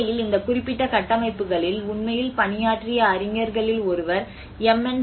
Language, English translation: Tamil, In fact, one of the scholar who actually worked on this particular structures M